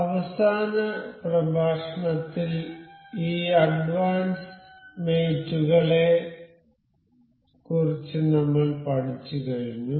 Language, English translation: Malayalam, In the last lecture, we have covered up to this advanced mates